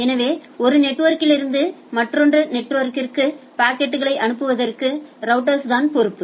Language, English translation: Tamil, So, routers are responsible for for forwarding packets from one network to another network and type of things